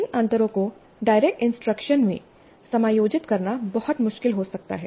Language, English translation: Hindi, It may be very difficult to accommodate these differences in direct instruction